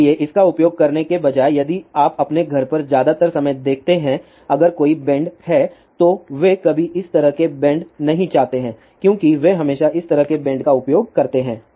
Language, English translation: Hindi, So, instead of using this if you look at your home most of the time if there is a bend they never use bend like this they always use something like this bend